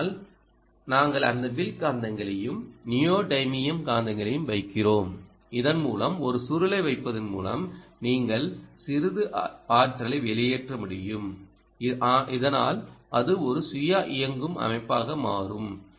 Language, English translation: Tamil, but we also put those ah arc magnets, ah neodymium magnets, so that you could leach some amount of energy from by putting a coil there, so that it becomes a self powered system